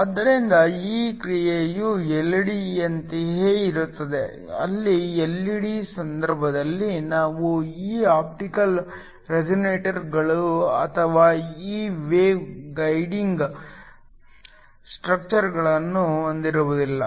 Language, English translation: Kannada, So, this action is similar to that of an LED where in the case of an LED we do not have these optical resonators or these wave guiding structures